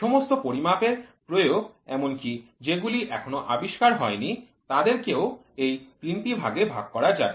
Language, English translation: Bengali, Every application of the measurement including those not yet invented can be put in one of these three categories